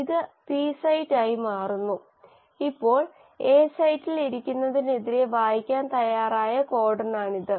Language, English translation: Malayalam, This becomes the P site and now this is the codon which is now ready to be read against sitting at the A site